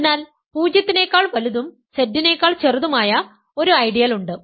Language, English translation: Malayalam, So, there is an ideal which is strictly bigger than 0 and which is strictly smaller than Z